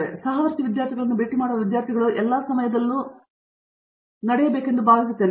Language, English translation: Kannada, So, I think that students meeting fellow students has to be happening all the time